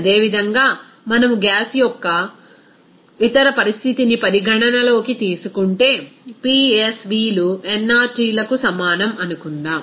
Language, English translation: Telugu, Similarly, if we consider that other condition of the gas, so it will be regarded as suppose PsVs is equal to nRTs